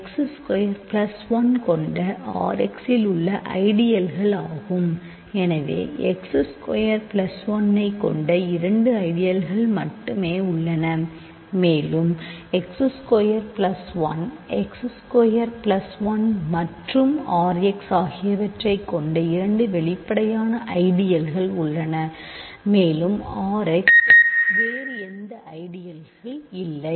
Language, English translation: Tamil, So, there are only two ideals containing x squared plus 1 and there are two obvious ideals that contain x squared plus 1 right x squared plus 1 itself and R x there is no other ideals